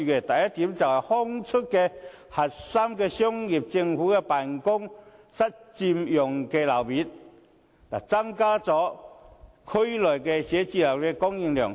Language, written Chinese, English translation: Cantonese, 第一，騰出核心商業區政府辦公室佔用的樓面，增加區內寫字樓的供應量。, First releasing spaces occupied by government offices in core business districts to increase the supply of offices in the districts